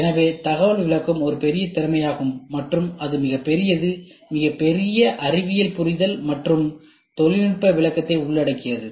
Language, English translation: Tamil, So, information interpretation is a big skill and it is huge it involves huge science understanding and technological interpretation